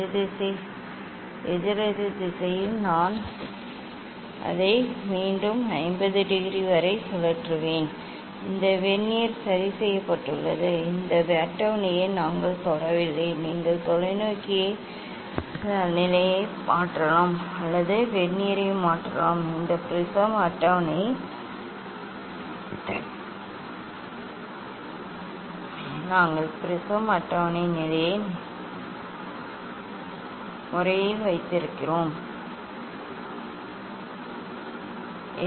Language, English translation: Tamil, anticlockwise I will rotate it anticlockwise approximately by 50 degree again this Vernier are fixed, we have not touch this table during will change either you change the telescope position, or you change the Vernier this prism table position we have kept the prism table position fixed means Vernier fixed